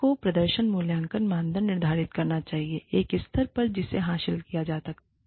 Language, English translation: Hindi, One should set, the performance appraisal criteria, at a level, that can be achieved